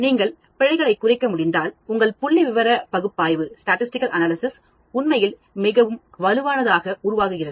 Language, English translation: Tamil, If you can reduce error then your statistical analysis becomes much more robust actually